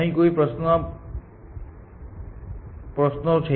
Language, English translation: Gujarati, Any questions here